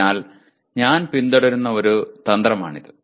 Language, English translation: Malayalam, So that is a strategy that I follow